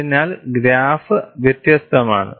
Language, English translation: Malayalam, So, the graph is different